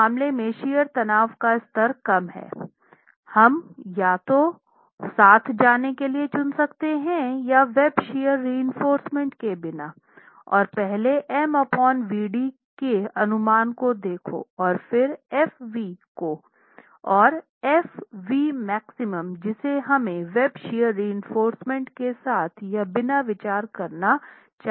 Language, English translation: Hindi, So, in this case, we could, the level of shear stress is low, we could choose to go with either with or without web shear reinforcement and look at the estimate of m by VD first and then the fv and fv max that we must consider with and without web shear reinforcement